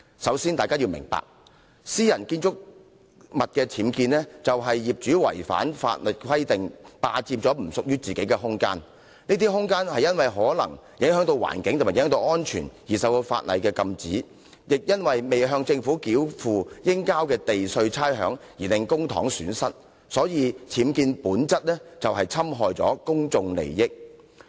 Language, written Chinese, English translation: Cantonese, 首先，大家要明白，私人建築物的僭建代表業主違反法例，霸佔並不屬於自己的空間，而這些空間有可能是因影響環境或安全而受法例禁止，或因未向政府繳付應繳交的地價差餉而令公帑蒙受損失，所以僭建本身就是侵害公眾利益。, First of all Members should understand that the presence of UBWs in private building implies that the owners concerned have breached the law by occupying space that does not belong to them . And UBWs itself is prejudicial to the interest of the public as the illegal occupation of space is prohibited by law due to the possible environmental or safety effect or has resulted in a loss of public money due to unpaid premium or rates to the Government